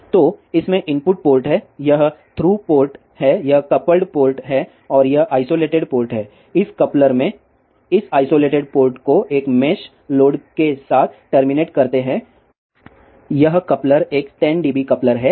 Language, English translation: Hindi, So, in this this is the input port, this is the through port this is the coupled port and this is the isolated port, this isolated port in this coupler is terminated with a mesh load this coupler is a 10 dB coupler